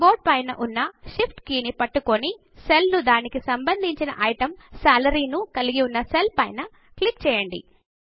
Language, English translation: Telugu, Now hold down the Shift key on the keyboard and click on the cell with its corresponding item, Salary